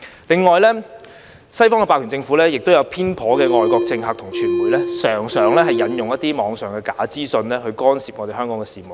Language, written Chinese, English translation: Cantonese, 另外，西方霸權政府、偏頗的外國政客及傳媒，常常引用一些網上的假資訊去干涉香港的事務。, In addition Western hegemonic governments biased foreign politicians and media often make use of some false information on the Internet to interfere in Hong Kongs affairs